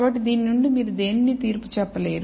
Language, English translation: Telugu, So, from this you cannot judge anything